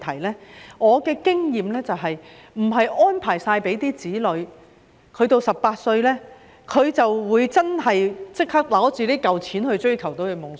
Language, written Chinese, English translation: Cantonese, 根據我的經驗，即使為子女作好全面安排，到他們18歲時也未必會立即拿着這筆錢追求夢想。, According to my experience even though parents have made comprehensive arrangements for their children the children may not use this sum of money to pursue their dreams as soon as they turn 18